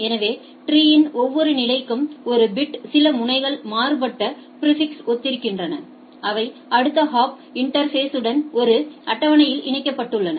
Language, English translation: Tamil, So, one bit for each level of tree some nodes correspond to be varied prefixes which I have next hop interfaced on the in a table